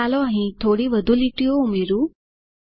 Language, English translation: Gujarati, Let me add few more lines here